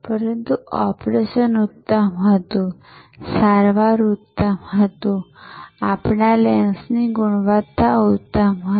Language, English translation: Gujarati, But, the operation was excellent, the treatment was excellent, the quality of lens provided was excellent